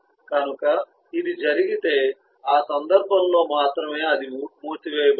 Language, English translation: Telugu, so if that is the case, then only in that is will get closed